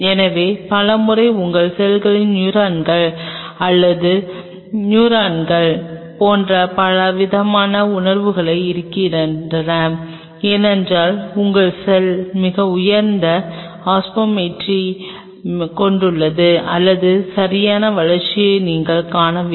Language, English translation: Tamil, So, many a times your cells die especially fragile sense like neurons or neuron derivatize cells, because your cell has a very high osmolarity or you do not see the proper growth